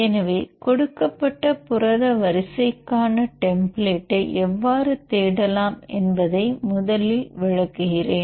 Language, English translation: Tamil, So, first I will explain how to start searching the template for given protein sequence